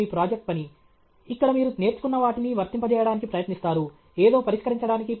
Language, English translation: Telugu, Tech is your project work, where you try to apply what all you learnt, to solve something